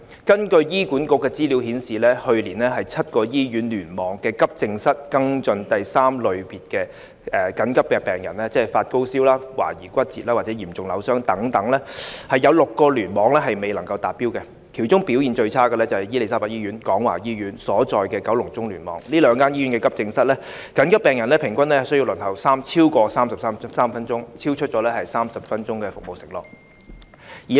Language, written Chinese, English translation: Cantonese, 根據醫院管理局的資料，去年7個醫院聯網的急症室跟進第三類別的緊急病人，即發高燒、懷疑骨折或嚴重扭傷等病人，有6個聯網未能達標，其中表現最差的是伊利沙伯醫院和廣華醫院所在的九龍中聯網，這兩間醫院急症室的緊急病人平均需要輪候超過33分鐘，超出30分鐘的服務承諾。, According to information from the Hospital Authority HA out of the accidents and emergency AE departments in the seven hospital clusters HA failed last year to meet the waiting time target in six of them for the treatment of urgent Triage 3 patients ie . people with high fever suspected fractures or serious sprains . The ones with the poorest performance were Queen Elizabeth Hospital and Kwong Wah Hospital of the Kowloon Central Cluster